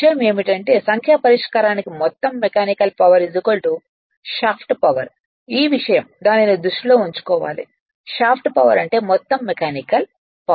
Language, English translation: Telugu, Only thing is that for numerical solving net mechanical power is equal to shaft power this thing you have to keep it in your mind